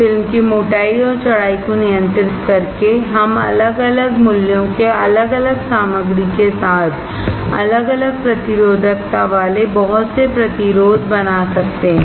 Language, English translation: Hindi, By controlling the thickness and width of the film, we can fabricate resistors of different values with different materials having different resistivity